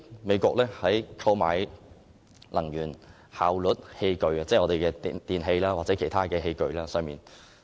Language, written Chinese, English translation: Cantonese, 美國為購買能源效率器具提供稅務優惠作為誘因。, The United States has provided tax concessions as an incentive for buying energy - efficient appliances